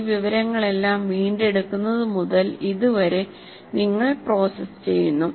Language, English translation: Malayalam, All this information from retrieved to this, you process that